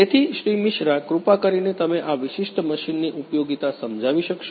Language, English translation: Gujarati, Mishra could you please explain the functionality of this particular machine